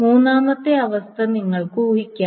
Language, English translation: Malayalam, Now, you can guess the third condition